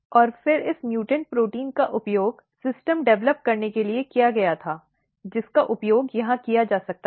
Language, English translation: Hindi, And then this mutant protein was used to develop system, which can be used here